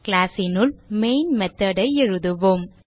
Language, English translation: Tamil, Inside the class, we write the main method